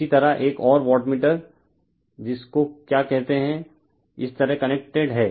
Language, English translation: Hindi, Similarly another wattmeter is carried your what you call , connected like this right